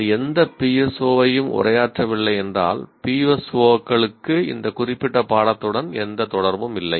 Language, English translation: Tamil, If it doesn't address any of the PSO, the PSOs have nothing to do with this particular course